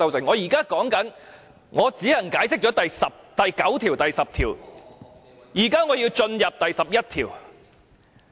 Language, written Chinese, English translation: Cantonese, 我現在是說我只能解釋第9條和第10條，現在我便要進入第11條。, I am saying that I merely had the time to explain clauses 9 and 10 earlier and I will talk about clause 11 now